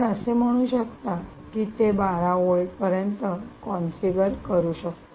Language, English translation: Marathi, lets say, you can configure it to twelve volts, and so on and so forth